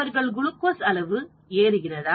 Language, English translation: Tamil, So the glucose levels have gone down